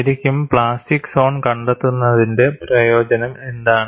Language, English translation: Malayalam, And really, what is the use of finding out the plastic zone